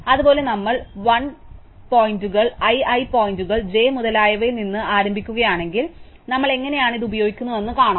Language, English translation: Malayalam, Similarly, for l if we start from l, l points to i, i points to j and so on, so we will see that this is how we will use to this is a strategy, we use to implement find